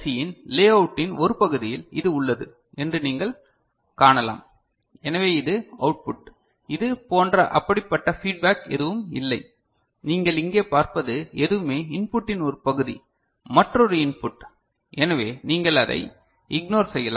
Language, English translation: Tamil, So, here one you can see in a part of the layout of that particular IC that this is there ok, so this is the output there is no such feedback this is whatever you see here is a part of input another input ok, so you ignore that